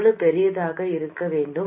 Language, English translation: Tamil, How large should it be